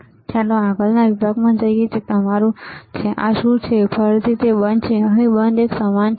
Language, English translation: Gujarati, Now let us go to the next section, which is your what is this off, again it is off here one off is in the same